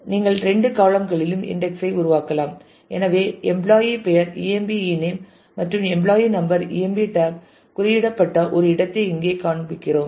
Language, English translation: Tamil, You can create index on two columns also; so, here we are showing one where emp tab is indexed on employee name emp ename and employee number together